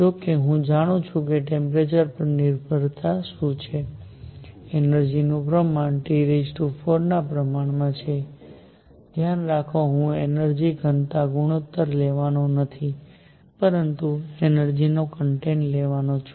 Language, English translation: Gujarati, However, I know what the temperature dependence is the energy content is proportional to T raise to 4, mind you, I am not going to take a ratio of energy density, but energy content